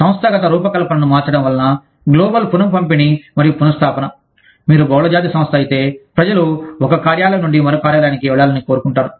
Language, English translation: Telugu, Global redistribution and relocation of work, due to changing organizational design mean, if you are a multinational company, people will want to move, from one office to another